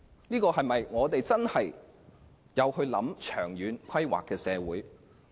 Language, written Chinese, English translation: Cantonese, 是否一個真正會作長遠規劃的社會？, Does our society truly have long - term planning?